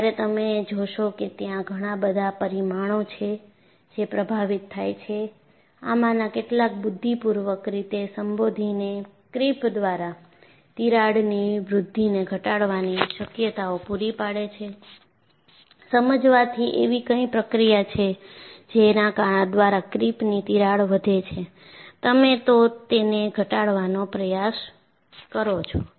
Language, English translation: Gujarati, So, when you find there are so many parameters that influence; it also provides you a possibility, to minimize crack growth by creep by addressing some of these intelligently; by understanding, what is the process by which, creep crack grows, you try to minimize it